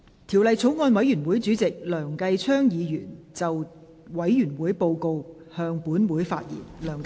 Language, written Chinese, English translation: Cantonese, 條例草案委員會的主席梁繼昌議員就委員會報告，向本會發言。, Mr Kenneth LEUNG Chairman of the Bills Committee on the Bill will address the Council on the Committees Report . Bills Committee on Inland Revenue Amendment No